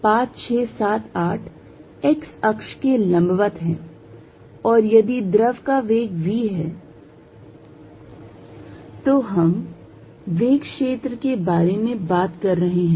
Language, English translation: Hindi, 5, 6, 7, 8 is perpendicular to the x axis and if there is a velocity of fluid v we talking about velocity field